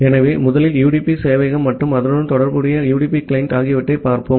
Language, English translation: Tamil, So, we will first look into UDP server and a corresponding UDP client